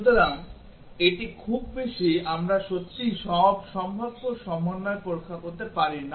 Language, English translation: Bengali, So, it just too many we cannot really test all possible combinations